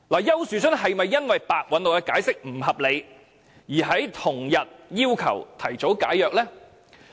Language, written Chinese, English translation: Cantonese, 丘樹春是否因為白韞六的解釋不合理，而在同日要求提早解約呢？, Did Ricky YAU also find the explanation given by Simon PEH unreasonable and therefore asked for an early resolution of agreement on the same day?